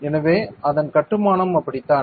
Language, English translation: Tamil, So, that is how the construction of it is